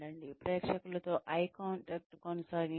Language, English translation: Telugu, Maintain eye contact with the audience